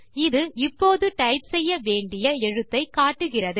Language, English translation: Tamil, It indicates that it is the character that you have to type now